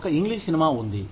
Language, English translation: Telugu, There is an English movie